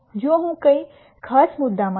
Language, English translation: Gujarati, If I am in a particular point